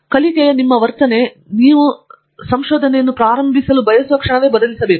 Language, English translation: Kannada, So, your attitude of learning has to change the moment you want to start on research